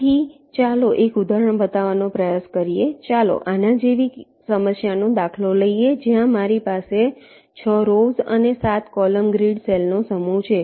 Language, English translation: Gujarati, lets take a problem instance like this, where i have a set of grid cells six number of rows and seven number or columns